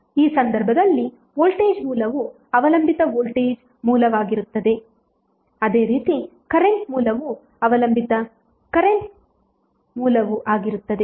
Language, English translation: Kannada, In this case voltage source would be dependent voltage source similarly current source would also be the dependent current source